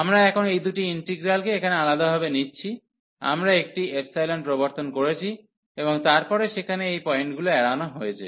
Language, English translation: Bengali, So, we have now considered, these two integrals differently here we have introduced one epsilon, and then avoided these point there